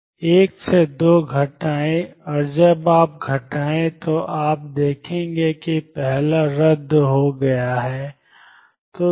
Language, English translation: Hindi, Subtract 2 from 1 and when you subtract you notice that the first one cancels